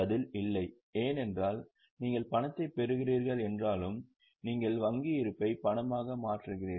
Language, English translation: Tamil, The answer is no because though you are receiving cash, you are just converting bank balance into cash